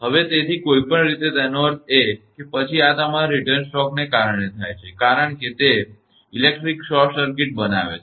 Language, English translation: Gujarati, So, anyway so; that means, then this happens because of your return stroke because it makes the electrical short circuit